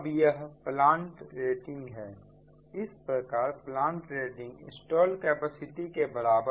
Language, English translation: Hindi, therefore plant rating is equal to installed capacity